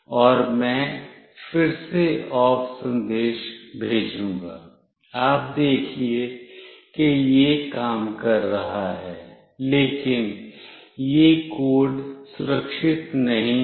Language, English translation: Hindi, And I will send again OFF, you see it is working, but this code is not the secure one